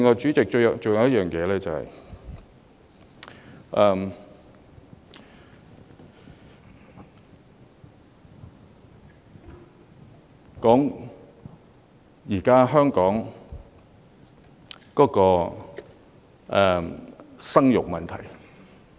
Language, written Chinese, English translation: Cantonese, 主席，最後還有一點，是關於現時香港的生育問題。, Am I right? . President one final point is about childbirth in the present - day Hong Kong